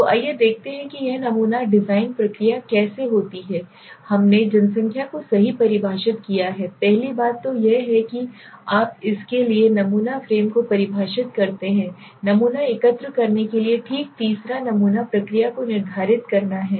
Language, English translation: Hindi, So let us see how this sampling design process goes first we defined the population right this is the first thing then is you define the sample frame for that is means the from where we are going to collect the sample okay third is to determine the sampling procedure